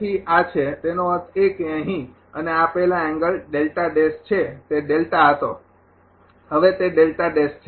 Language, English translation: Gujarati, So, this is; that means, ah here and this angle is delta dash earlier it was delta now it is delta dash